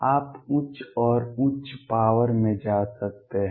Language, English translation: Hindi, You can go to higher and higher powers